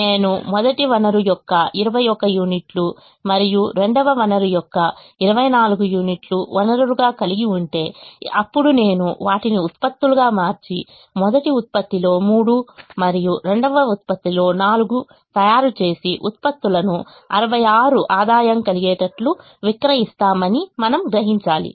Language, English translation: Telugu, it is also to say that if i have twenty one units of the first resource and twenty four units of the second resource as resources and then i transform them into products and make three of the first product and four of the second product and sell the products to realize a revenue of sixty six